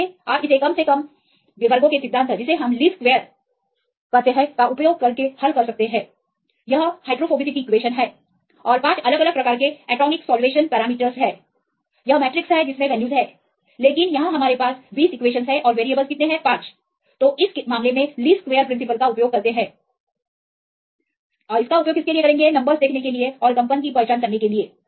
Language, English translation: Hindi, Then easily, you can solve it using principle of least squares right this is the equation this is the hydrophobicity and this is the 5 different types of atomic solvation parameters this is the matrix which have these values, but here our case, we have 20 equations and we have only 5 variables in this case we use the principle of least squares to see that identify the numbers right the vibrations